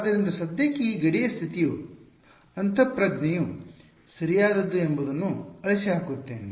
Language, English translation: Kannada, So, let me erase that for now this boundary condition may intuition is correct right